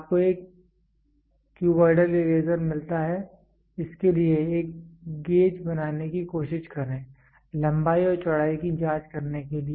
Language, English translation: Hindi, You get a cuboidal eraser try to make a gauge for it, to check for length and width